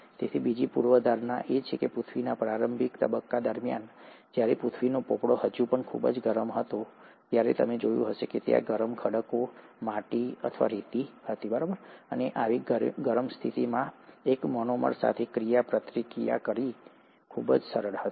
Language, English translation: Gujarati, So the second hypothesis is that during the early phase of earth, when the earth’s crust was still very hot, you find that there were hot rocks, clay or sand, and under such hot conditions, it was very easy for one monomer to interact with another monomer, through the process of dehydration